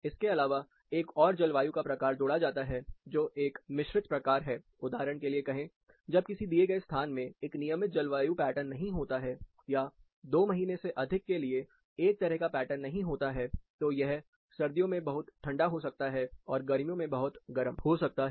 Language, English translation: Hindi, Apart from this, another climate type is added, which is a composite, say for example, when a given location does not have a regular climate pattern, or a similar pattern for more than 2 months, it may be too cold in winter, too hot in summer